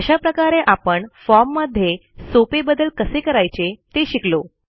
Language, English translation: Marathi, So now, we have learnt how to make a simple modification to our form